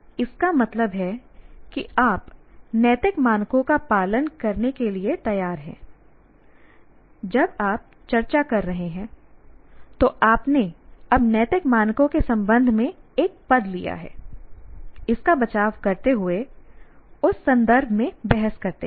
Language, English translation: Hindi, That means when you are discussing, you are now have taken a position with respect to ethical standards and defending it and arguing within that context